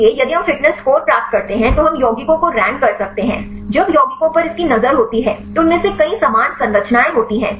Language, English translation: Hindi, So, if we get the fitness score we can rank the compounds; when its look at the compounds many of them are having similar structures